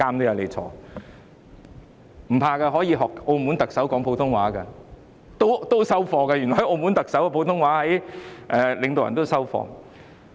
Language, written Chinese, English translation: Cantonese, 不用害怕，可以學澳門特首說普通話的，原來澳門特首的普通話水平領導人也接受。, Do not worry . We may learn Putonghua from the Chief Executive of Macao whose Putonghua level is still acceptable to the leaders